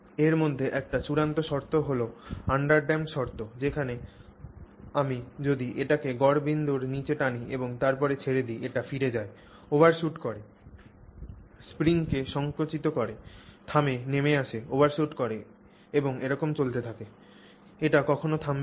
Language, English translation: Bengali, The one extreme of it is an undamped condition is one where if I pull it down below the mean point and I release it, it goes back up, overshoots, compresses the spring, comes to a halt, comes down, overshoots and continues except that it never comes to a halt